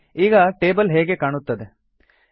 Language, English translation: Kannada, See how the Table looks now